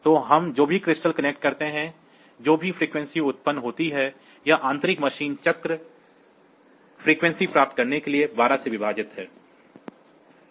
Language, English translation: Hindi, So, whatever crystal we connect, whatever frequency it is generated; it is divided by 12 to get the internal machine cycle frequency